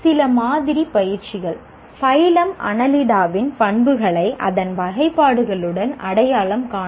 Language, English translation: Tamil, Some sample activities identify the characteristics of phylum enelida with its classifications